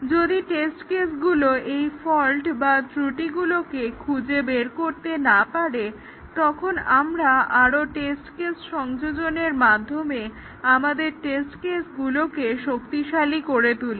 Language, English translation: Bengali, If the test cases are not able to detect them, we strengthen the test cases by adding more test cases